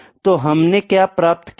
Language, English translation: Hindi, So, what we have obtained